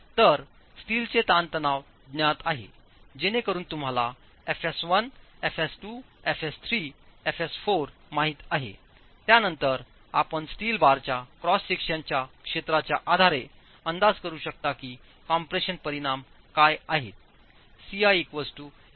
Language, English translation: Marathi, So with the steel stress known, you can then, so you know FS1, FS2, FS3, FS4, you can then estimate based on the areas of cross section of the steel bars what the compression resultants are as ASI into FSI for each bar